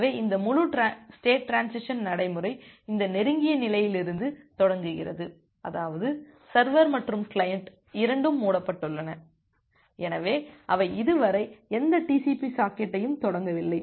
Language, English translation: Tamil, So, this entire state transition procedure start from this close state; that means, the server and the client both of them are closed, so they are they have not started any TCP socket yet